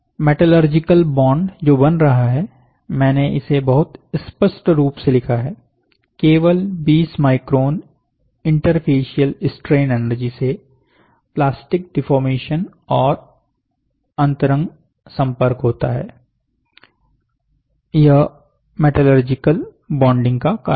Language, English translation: Hindi, So, the metallurgical bond which is getting formed, I have written it very clearly, 20 microns only, the interfacial strain energy leads to plastic deformation and intimate contact